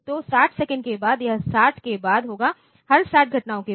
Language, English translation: Hindi, So, after 60 seconds it will be after 60, after every 60 such events